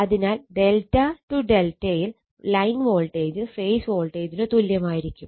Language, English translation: Malayalam, So, it is line voltage is equal to phase voltage